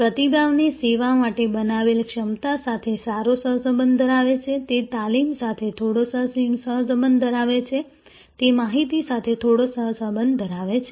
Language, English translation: Gujarati, A responsiveness has a high correlation with capacity that you have created for the service, it has some correlation with training, it has some correlation with information